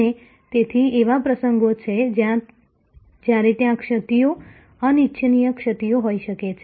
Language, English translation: Gujarati, And therefore, there are occasions, when there can be lapses, undesired lapses